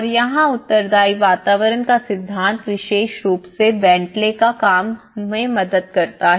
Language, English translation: Hindi, And here the theory of responsive environments especially the BentleyÃs work